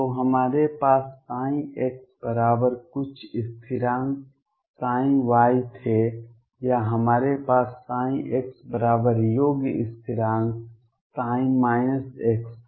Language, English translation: Hindi, So, we had psi x equal sum constants psi y or we had psi x equals sum constant psi minus x